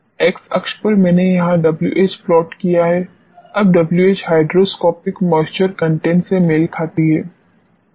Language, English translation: Hindi, On x axis I have plotted here W H now W H corresponds to hydroscopic moisture content